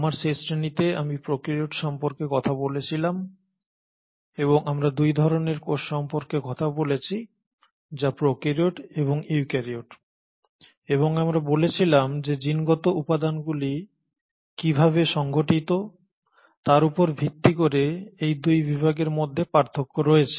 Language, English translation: Bengali, Now in my last class, I spoke about prokaryotes and what I mentioned to you last time was that prokaryotes; we spoke about 2 types of cells which are the prokaryotes and the eukaryotes and we spoke that the difference between these 2 categories is based on how the genetic material is really organised